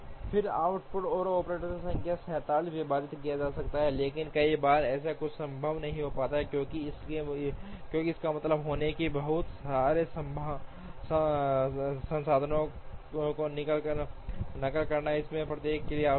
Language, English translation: Hindi, Then the output can be 47 divided by the number of operators, but many times such a thing would not be feasible, because that would mean duplicating a lot of resources, that are required for each one of them